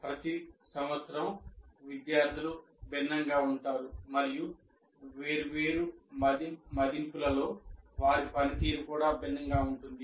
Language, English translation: Telugu, First thing is students are different every year and their performance in different assessment will also differ